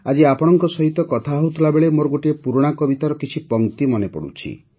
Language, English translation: Odia, When I am talking to you today, I am reminded of a few lines of an old poem of mine…